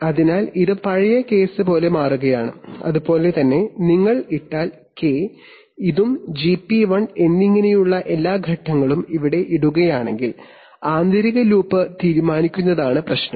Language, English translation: Malayalam, So it is becoming like the old case, similarly if you put, similarly, if you put this one as K, and this one as GP1 and put all the phase lag here then the problem will be to decide the inner loop